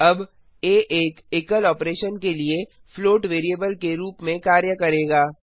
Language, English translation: Hindi, Now a will behave as a float variable for a single operation